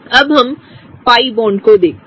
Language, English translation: Hindi, Now, let us look at the pi bonds